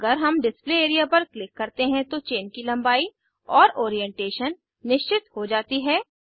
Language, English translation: Hindi, Note once we click on the Display area, the chain length and orientation of the chain are fixed